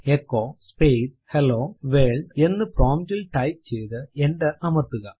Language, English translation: Malayalam, Type at the prompt echo space Hello World and press enter